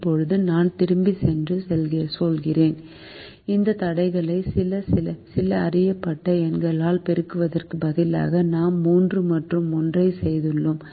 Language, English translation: Tamil, now i go back and say, instead of multiplying these constraints by some known numbers, we did three and one